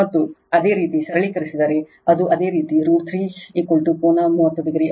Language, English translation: Kannada, And if you take your simplify, it you it will become a root 3 into V p angle 30 degree right